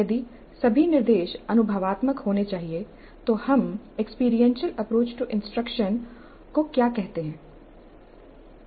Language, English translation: Hindi, If all instruction must be experiential, what do we call as experiential approach to instruction